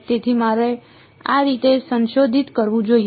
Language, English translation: Gujarati, So, I must modify this in this way